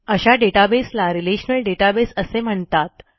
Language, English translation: Marathi, Now this helps us to manage relational databases